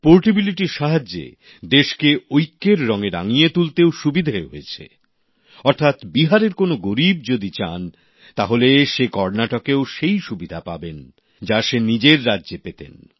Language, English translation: Bengali, This portability of the scheme has also helped to paint the country in the color of unity, which means, an underprivileged person from Bihar will get the same medical facility in Karnataka, which he would have got in his home state